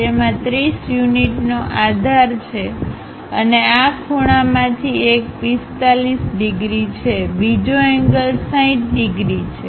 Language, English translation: Gujarati, It has a base of 30 units and one of the angle is 45 degrees on this side, other angle is 60 degrees